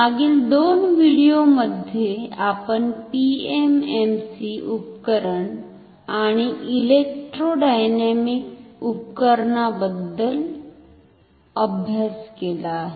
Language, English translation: Marathi, In last two videos we have studied about PMMC Instrument and Electrodynamic Instrument